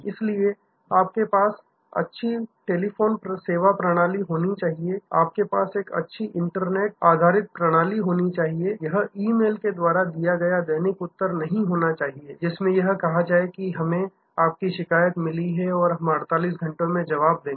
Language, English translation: Hindi, So, you should have good telephone contact system, you should have good web based system, It’s not just routine replied by email saying we have received your complaint and we will respond back in 48 hours